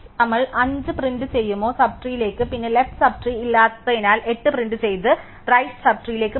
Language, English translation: Malayalam, Have we will print 5 move to the sub tree, then because there is no left sub tree will print 8 and go to the right sub tree